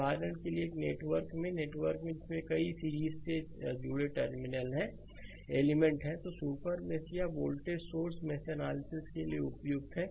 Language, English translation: Hindi, For example, in network right in network that contains many series connected elements right super meshes or voltage sources are suitable for mesh analysis right